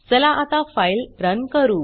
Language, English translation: Marathi, Let us run the file now